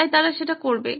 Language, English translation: Bengali, So they would do that